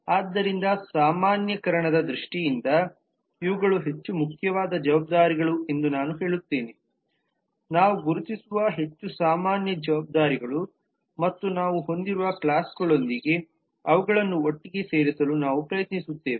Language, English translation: Kannada, so in terms of generalization i will say that these are the more important responsibilities, more common responsibilities that we identify and we will try to put them together with the classes that we have